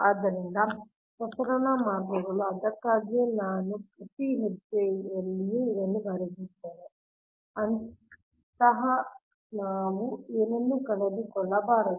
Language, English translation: Kannada, thats why every step i have written it here such that we should not miss anything